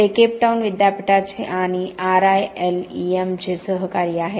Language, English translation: Marathi, He is a fellow of the University of Cape Town and also a fellow of RILEM